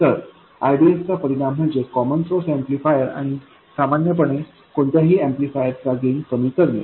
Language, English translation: Marathi, So the effect of rDS is to reduce the gain of the common source amplifier and in general any amplifier